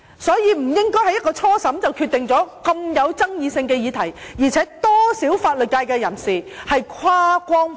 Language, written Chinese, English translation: Cantonese, 所以，不應該在初審時便就這個極具爭議性的議題作出決定，而且有多少法律界人士是跨光譜的？, Therefore it is inappropriate to make a decision on this most controversial issue at the preliminary hearing . Moreover how many members of the legal profession straddle the spectrum?